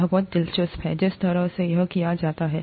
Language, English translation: Hindi, It is, very interesting, the way it is done